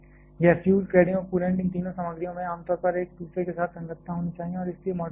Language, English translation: Hindi, This fuel, cladding and coolant all this three materials generally are generally must have compatibility with each other and so, is the moderator